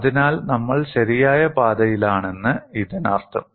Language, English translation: Malayalam, So, that means we are on right track